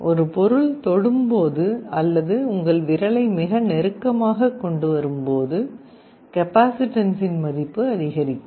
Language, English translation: Tamil, So, when the object touches or even you are bringing your finger in very close proximity, the value of the capacitance will increase